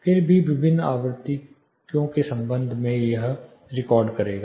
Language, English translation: Hindi, Then it will also record in terms of different frequencies